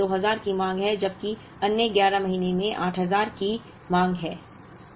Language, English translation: Hindi, One month taking a demand of 2000, while the other 11 months having a demand of 8000